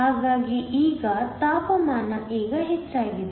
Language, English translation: Kannada, So, the temperature is now increased